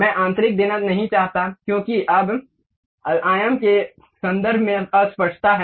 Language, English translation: Hindi, I do not want to give internal, because now there is a ambiguity in terms of dimension